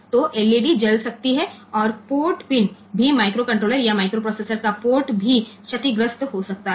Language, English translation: Hindi, So, LED may burn and the port pin whether the port of the microcontroller or microprocessor may also get damaged